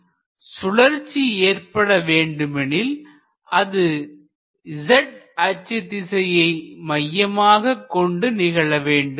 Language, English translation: Tamil, So, for example, if there is a rotation with respect to the z axis, then that occurs in this plane